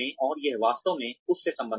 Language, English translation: Hindi, And, this really relates to that